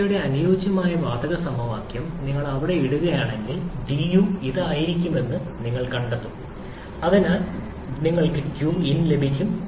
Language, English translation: Malayalam, If you put the ideal gas equation of state there, you will find that du will be=Cv dT, so you get q in